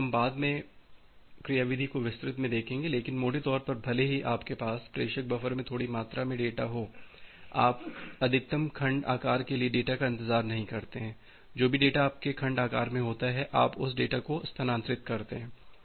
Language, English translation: Hindi, So, that is why we will look the mechanism in details later on, but broadly even if you have a small amount of data in the sender buffer, you do not wait for the data for the maximum segment size, whatever data is there in the segment size you transfer that data